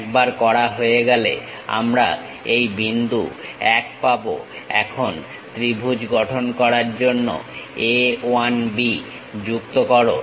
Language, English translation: Bengali, Once done we have this point 1, now join A 1 B to construct the triangle